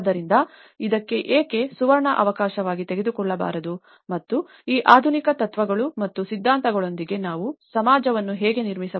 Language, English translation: Kannada, So, why not take this as a golden opportunity and how we can build a society with these modernistic philosophies and ideologies